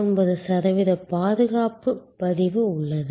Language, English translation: Tamil, 99 percent of safety record